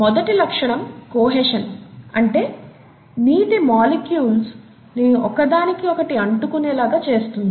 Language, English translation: Telugu, The first property is adhesion which is water molecules sticking together